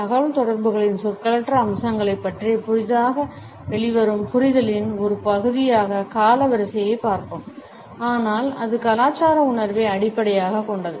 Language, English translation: Tamil, We have looked at chronemics as a part of our newly emerging understanding of nonverbal aspects of communication, but still it was based on cultural perception